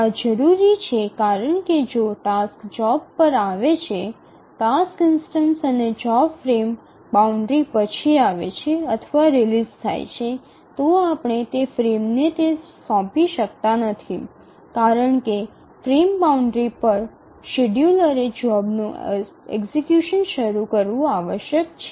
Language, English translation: Gujarati, To think of it why this is necessary is that if the task arrives the job the task instance or the job arrives or is released after the frame boundary then we cannot assign that to that frame because at the frame boundary the scheduler must initiate the execution of the job